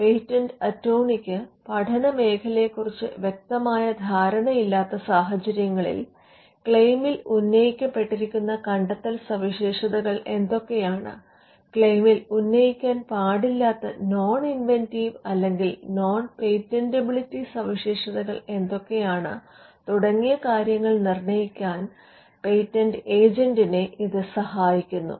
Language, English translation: Malayalam, So, in cases where the patent attorney does not have a fair understanding of the field, then this will be critical in helping the patent agent to determine what should be the inventive features that are claimed, and what are the non inventive or non patentable features that should not figure in the claim